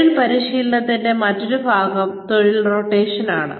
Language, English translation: Malayalam, The other part of, on the job training is, job rotation